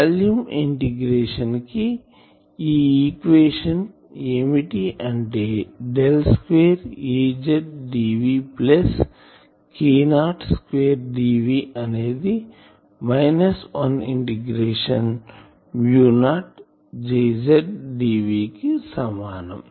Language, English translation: Telugu, We actually our actual equation will be this is a volume integration Del square Az dv plus k not square d v is equal to minus 1 integration mu not Jz dv